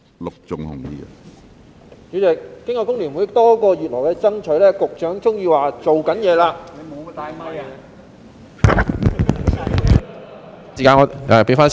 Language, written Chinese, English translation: Cantonese, 主席，經過香港工會聯合會多個月來的爭取，局長終於說正在做事......, President after months of efforts by the Hong Kong Federation of Trade Unions FTU the Secretary has finally said that he is doing